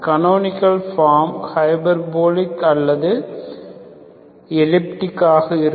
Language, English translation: Tamil, So canonical form either is hyperbolic or elliptic